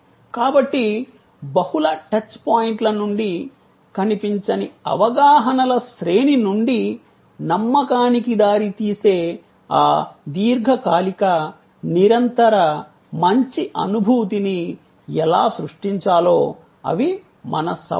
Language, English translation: Telugu, So, the challenge is how to create this lingering, continuing, good feeling, leading to trust belief from a series of intangible perceptions out of multiple touch points